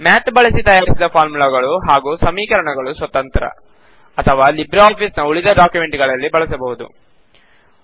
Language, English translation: Kannada, The formulae and equations created using Math can stand alone Or it can be used in other documents in the LibreOffice Suite